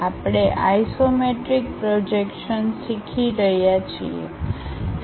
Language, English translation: Gujarati, We are learning Isometric Projections